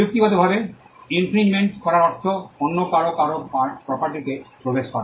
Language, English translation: Bengali, Infringement technically means trespass is getting into the property of someone else